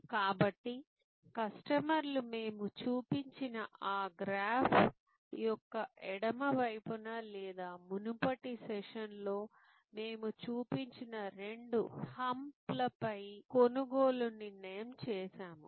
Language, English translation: Telugu, So, customers purchased decision on the left side of that graph that we showed or the two hams that we showed in the previous session